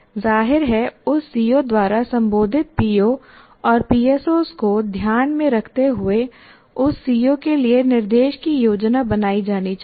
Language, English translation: Hindi, And obviously instruction needs to be planned for that CO, taking into account the POs and PSOs addressed by that CO